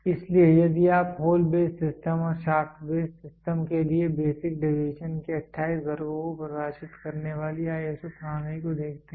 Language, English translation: Hindi, So, if you look at the ISO system defining 28 classes of basic deviation for hole base system and for shaft base system